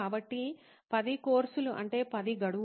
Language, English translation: Telugu, So 10 courses means 10 deadlines